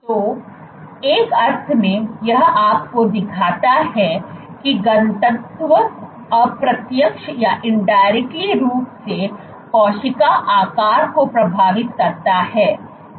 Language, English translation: Hindi, So, in a sense what you see here what this shows you is that density indirectly influences cell shape